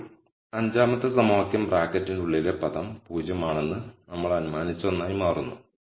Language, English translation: Malayalam, Now the fth equation becomes the one which we have assumed which is the term inside the bracket is 0